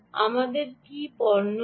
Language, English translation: Bengali, do we have a product